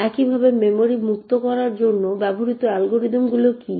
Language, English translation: Bengali, Similarly what are the algorithms used for freeing the memory